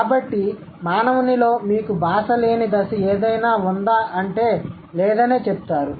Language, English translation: Telugu, So, they wouldn't say that there was any stage in a human where you didn't have any language